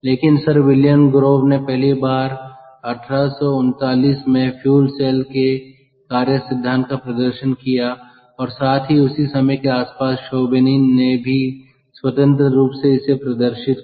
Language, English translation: Hindi, sir william grove first demonstrated fuel cell operating principle way back in eighteen, thirty, nine, and also independently